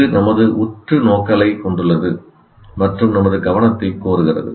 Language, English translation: Tamil, It has our focus and demands our attention